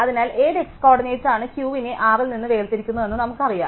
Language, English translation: Malayalam, So, we know which x coordinate separates Q from R